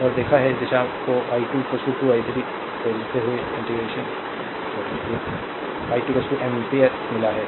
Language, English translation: Hindi, And we have seen we have got this direction i 2 is equal to 2 i 3 so, i 2 is equal to 2 ampere